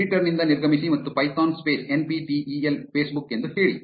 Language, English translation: Kannada, Exit the editor and say python space NPTEL Facebook